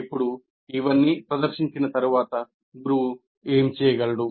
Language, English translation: Telugu, Now having presented all this, what exactly, what can the teacher do